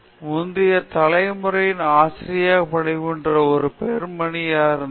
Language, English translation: Tamil, In the earlier generation there was only lady who is working as a teacher